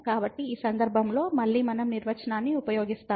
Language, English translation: Telugu, So, in this case again we use the definition